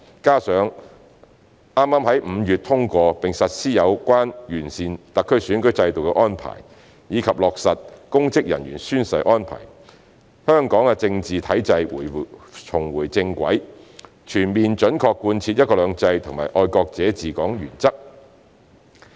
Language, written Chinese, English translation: Cantonese, 加上剛剛於5月通過並實施有關完善特區選舉制度的安排，以及落實公職人員宣誓安排，香港的政治體制重回正軌，全面準確貫徹"一國兩制"及"愛國者治港"原則。, Moreover the arrangements for improving the SARs electoral system and oath - taking of public officers endorsed and implemented in May this year have put Hong Kongs political system back on track allowing the principles of one country two systems and patriots administering Hong Kong to be fully and faithfully implemented